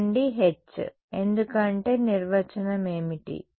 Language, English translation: Telugu, H from it why because what is the definition of right